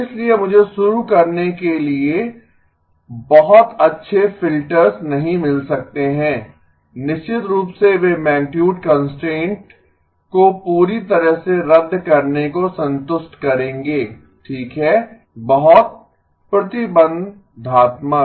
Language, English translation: Hindi, Therefore, I cannot get very good filters to begin with, of course they will satisfy the magnitude constraint being canceled completely okay very restrictive